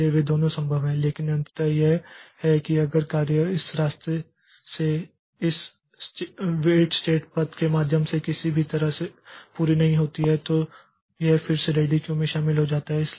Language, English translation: Hindi, So, both of them are possible but ultimately what happens is that in the job is not complete in either way either via this path or via this weight state path it joins the ready queue again